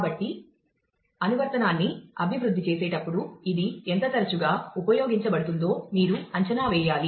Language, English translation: Telugu, So, while developing the application you will have to make an estimate of how often it will be used